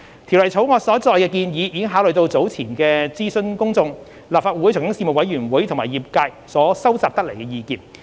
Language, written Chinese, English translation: Cantonese, 《條例草案》所載的建議已考慮到早前諮詢公眾、立法會財經事務委員會及業界所收集得來的意見。, The proposals in the Bill have taken into account the views collected from earlier consultation with the public the Legislative Council Panel on Financial Affairs and the industry